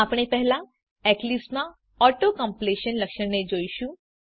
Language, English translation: Gujarati, we will first look at Auto completion feature in Eclipse